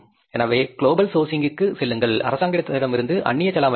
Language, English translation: Tamil, So, go for the global sourcing, foreign exchange is available from the government